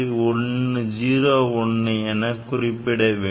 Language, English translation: Tamil, 01 so, that is the least count